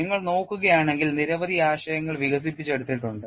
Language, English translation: Malayalam, And if you look at many concepts have been developed